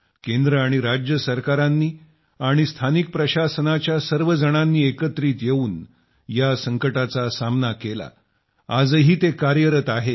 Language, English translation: Marathi, The Centre, State governments and local administration have come together to face this calamity